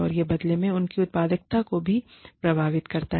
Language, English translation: Hindi, And, that in turn, affects their productivity, as well